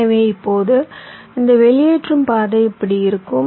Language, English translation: Tamil, so now this discharging path will be like this